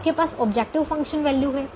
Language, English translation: Hindi, you have the objective function values